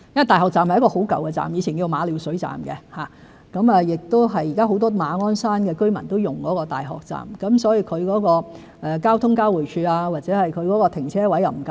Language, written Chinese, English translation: Cantonese, 大學站是一個很舊的車站，前稱馬料水站，現時很多馬鞍山居民都使用大學站，其交通交匯處及停車位不足，不能做到停車後乘搭火車上班。, The University Station formerly known as the Ma Liu Shui Station is indeed very dilapidated . Currently the University Station is heavily used by the residents in Ma On Shan . Owing to insufficient transport interchange and parking facilities motorists are unable to park their vehicles there and then take the train to work